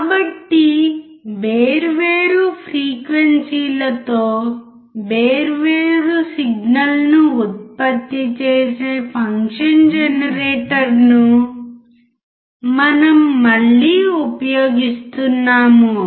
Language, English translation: Telugu, So, we are again using the function generator it generates signals at different frequency